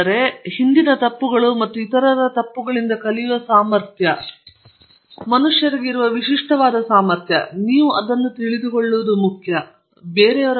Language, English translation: Kannada, Then ability to learn from mistakes of the past and mistakes of others; this is a peculiar ability that human beings have and I think it’s important that you learn that